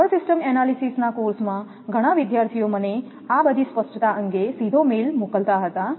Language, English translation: Gujarati, In the power system analysis course many student directly sent to the mail that regarding clarification